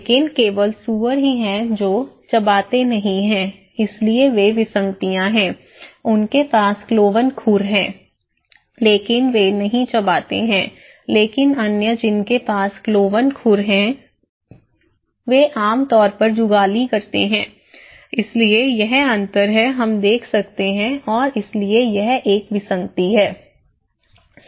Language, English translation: Hindi, But only pig they donít do chewing the cud, so thatís why they are anomalies okay, so they have cloven hooves but they do not chew the cud but other those who have cloven hooves generally they do chew the cud, so thatís the difference we can see and thatís why it is an anomaly